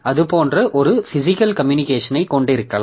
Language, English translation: Tamil, So we can have one physical communication like that